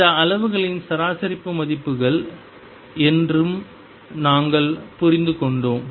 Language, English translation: Tamil, And we also understood this as the average values of these quantities